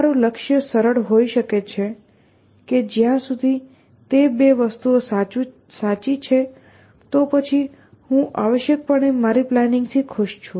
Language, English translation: Gujarati, Your goal may simply be that as long as those 2 things are true, then I am happy with my plan essentially